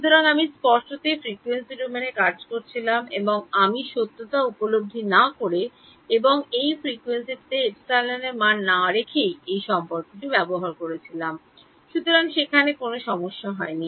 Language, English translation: Bengali, So, I was implicitly working in the frequency domain and at I was using this relation without really realizing it and putting the value of epsilon at that frequency, so there was no problem there